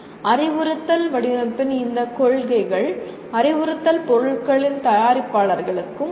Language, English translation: Tamil, And these principles of instructional design would also help producers of instructional materials